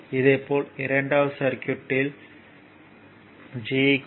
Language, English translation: Tamil, Similarly, that second circuit that there G is your 0